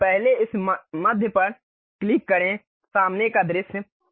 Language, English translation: Hindi, So, first click this middle one, front view